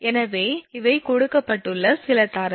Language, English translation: Tamil, So, all that data are given